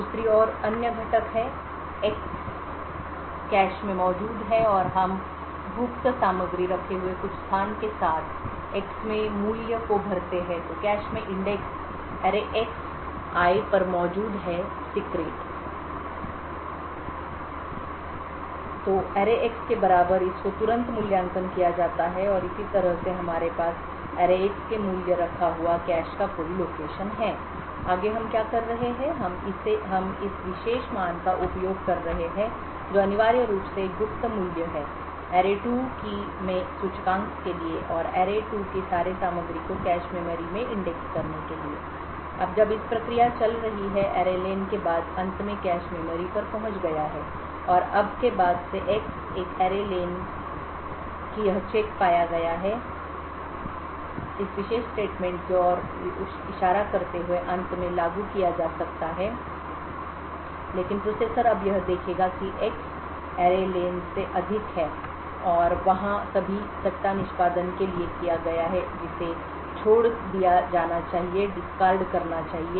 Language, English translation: Hindi, On the other hand the other components are X is present in the cache and we fill the value of X with some location comprising of secret so since the secret is present in the cache the index array[x]I equal to array[x]can be very quickly evaluated pick and similarly we would what we would have is that some location in the cache would contain the value of array[x]next what we are doing is we are using this particular value which is essentially a secret value to index into of this array2 and all the contents of the array2 into the cache memory now while this process of process is going on the this to mean that array len has after while has finally reached the cache memory and now since X an array len have find the arrived this check that is pointing to this particular statement can finally be invoked but the processer would have would now observe that X is greater than array len and there for all the speculative execution that has been done should be discarded and therefore the process so would discarded this speculatively executed instructions